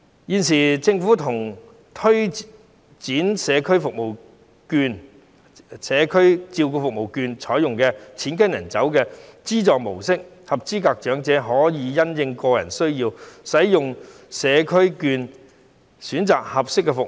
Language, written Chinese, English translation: Cantonese, 現時，政府推展長者社區照顧服務券試驗計劃，是採用"錢跟人走"的資助模式，合資格長者可以因應個人需要，使用社區照顧服務券選擇合適的服務。, At present under the Pilot Scheme on Community Care Service Voucher for the Elderly introduced by the Government eligible elderly persons may use community care service vouchers to choose the services that suit their individual needs under the money - following - the - user mode